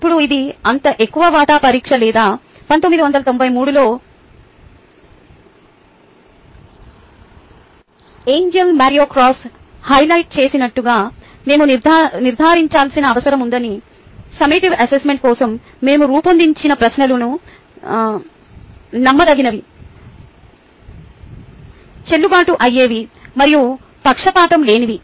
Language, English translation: Telugu, now, because its a such a high stake exam or a test, we need to ensure, as highlighted by angelo and cross in nineteen ninety three, that the questions which we have designed for the summative assessment is reliable, valid and free of bias